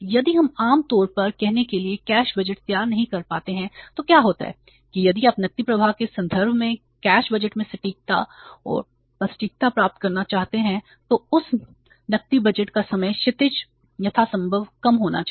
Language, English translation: Hindi, If we are not able to prepare the cash budget for say normally what happens that if you want to achieve the accuracy and precision in the cash budget in terms of the cash flows then the time horizon of that cash budget should be as short as possible